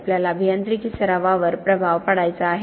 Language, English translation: Marathi, We want to influence engineering practice